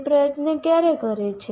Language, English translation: Gujarati, When does he put the effort